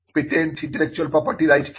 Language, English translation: Bengali, what is a patent intellectual property rights